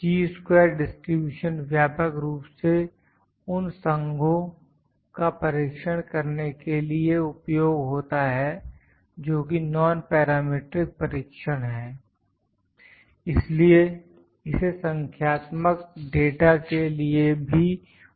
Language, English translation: Hindi, Chi squares distribution most widely used for the test of associations which is a nonparametric test; therefore, it can be used for nominal data too